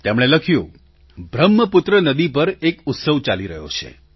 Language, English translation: Gujarati, He writes, that a festival is being celebrated on Brahmaputra river